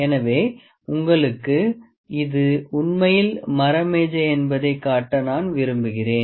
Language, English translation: Tamil, So, I liked to show you that this is actually a wooden table